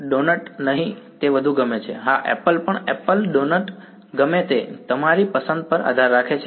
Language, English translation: Gujarati, Not donut is more like it, yeah apple also apple, donut whatever depending on your preference right so